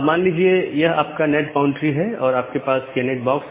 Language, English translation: Hindi, So, assume that this is your NAT boundary and you have the NAT box